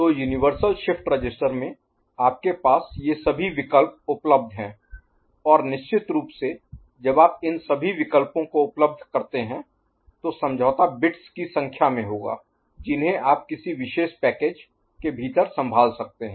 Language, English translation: Hindi, So, in the universal shift register, you have all these options available r ight and of course, when you make all these options available the sacrifice will be the number of bits you can handle within a particular package ok